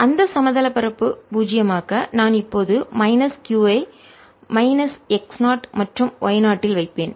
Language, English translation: Tamil, to make it zero on that plane i'll now put a charge minus q at minus x naught and y zero